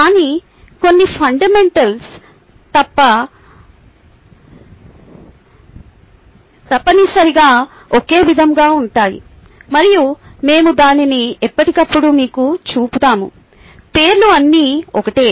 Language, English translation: Telugu, but some fundamentals are essentially the same and we will point it out to you from time to time